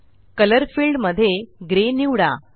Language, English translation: Marathi, In the Color field, select Gray